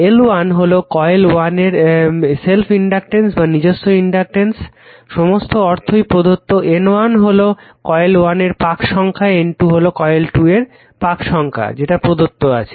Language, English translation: Bengali, So, L 1 is the self inductance of coil 1 everything is given all nomenclature is given L 2 self inductance of coil 2 N 1 number of turns of coil 1 given N 2 number of turns coil 2 is given